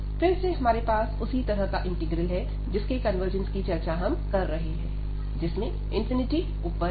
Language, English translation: Hindi, So, again we have a similar type integral, which we are discussing for the convergence where the infinity appears above